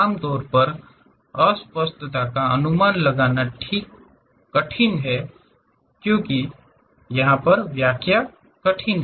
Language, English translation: Hindi, Usually, ambiguity are hard to guess or interpret is difficult